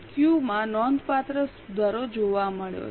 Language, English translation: Gujarati, Q has shown substantial improvement